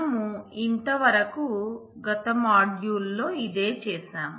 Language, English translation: Telugu, So, this is what we had done in the last module